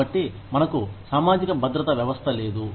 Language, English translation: Telugu, So, we do not have a system of social security